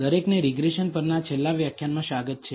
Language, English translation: Gujarati, Welcome everybody to this last lecture on regression